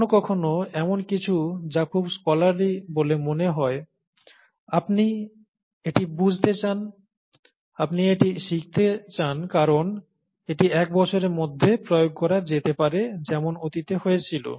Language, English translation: Bengali, Sometimes, something that seems very, scholarly, you know, you you want to understand it, you want to learn it just because it is there could have an application within a year as has happened in the past